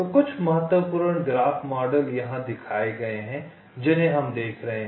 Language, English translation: Hindi, so some of the important graph models are shown here